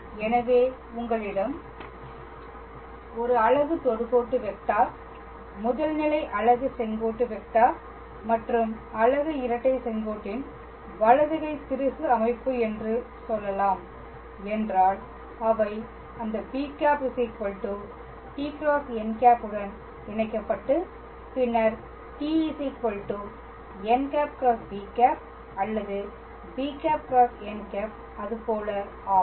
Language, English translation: Tamil, So, if you have a let us say a right handed screw system of a unit tangent vector, unit principle normal and unit binormal, then they are connected with that b cap equals to t cross n and then t cap equals to n cross b or b cross n something like that